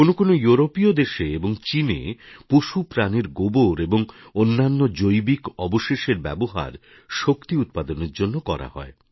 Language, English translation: Bengali, Some European countries and China use animal dung and other Biowaste to produce energy